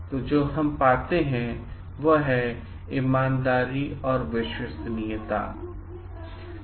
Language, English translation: Hindi, So, what we find may be honesty, trustworthiness